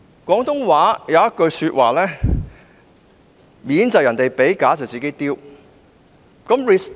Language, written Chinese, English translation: Cantonese, 廣州話有一句俗語："面子是別人給的，臉是自己丟的"。, There is a colloquial expression in the Guangzhou dialect Respect is accorded by others; notoriety is brought on by oneself